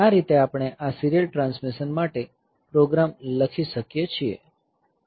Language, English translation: Gujarati, So, this way we can write the program for this serial transmission